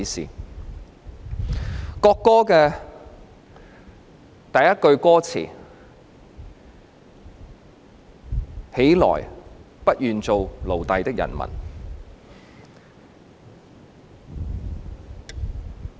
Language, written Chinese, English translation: Cantonese, 中國國歌第一句歌詞是"起來！不願做奴隸的人民！, The first sentence of Chinas national anthem is Arise ye who refuse to be slaves!